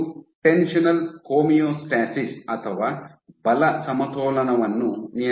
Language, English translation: Kannada, So, this regulates your tensional homeostasis or the force balance